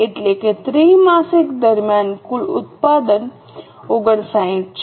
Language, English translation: Gujarati, That means during the quarter the total production is 59